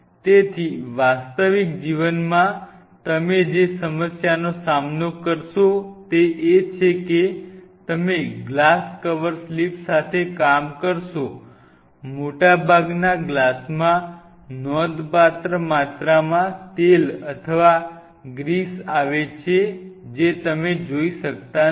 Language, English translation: Gujarati, So, few problems what you will face in real life will working with glass, glass cover slips are that most of the glass comes with significant amount of oil or grease which you cannot see